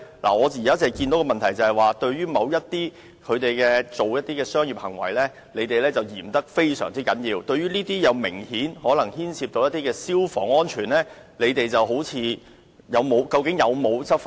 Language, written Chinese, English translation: Cantonese, 我現在看到的問題是，對於某些商業行為，當局非常嚴格執法，但對於這些明顯牽涉消防安全問題的活動，究竟有否執法呢？, The problem I have now observed is that the authorities have taken enforcement actions very strictly against certain commercial activities but did they take any enforcement actions against these activities which obviously involve fire safety issues?